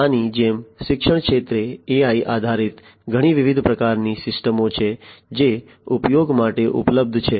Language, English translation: Gujarati, Like this, there are many different types of AI based systems in education sector that are available for use